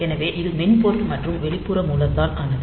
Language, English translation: Tamil, So, it is both by software and external source